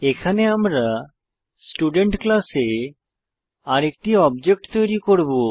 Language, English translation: Bengali, Here, we will create one more object of the Student class